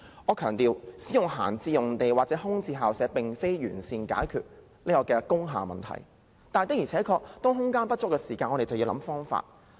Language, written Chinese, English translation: Cantonese, 我須強調，使用閒置用地或空置校舍並不能完善解決工廈問題，但當空間不足時，我們便要想盡方法。, I must stress that using idle sites or vacant school premises cannot properly address the problems of industrial buildings . But when there is insufficient room we have to try every means to find a solution